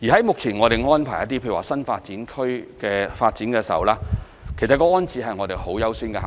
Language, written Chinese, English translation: Cantonese, 目前我們為新發展區等的一些發展作出安排時，其實安置是很優先的考慮。, When we make arrangement for the developments in the New Development Areas rehousing is actually a top priority